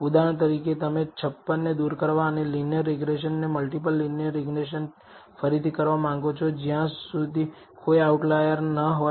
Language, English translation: Gujarati, For example, you may want to remove 56 and redo the linear regression multi multiple linear regression and again repeat it until there are no outliers